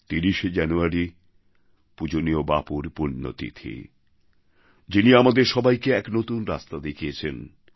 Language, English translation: Bengali, The 30 th of January is the death anniversary of our revered Bapu, who showed us a new path